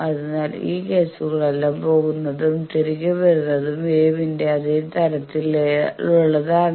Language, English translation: Malayalam, So, all these cases are the same type of thing that waves they are going and coming back